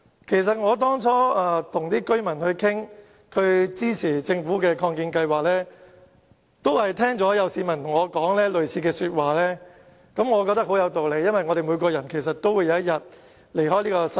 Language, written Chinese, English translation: Cantonese, 其實，我當初與居民商討支持政府的擴建龕場計劃時，亦聽到市民對我說過類似的話，我覺得很有道理，因為所有人終有一天會離開這個世界。, The residents had said something similar to me when I approached them to solicit their support for the proposed expansion of WHSC . I think it makes perfect sense because we will leave this world one day